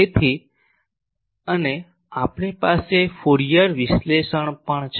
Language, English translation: Gujarati, So, and also we have Fourier analysis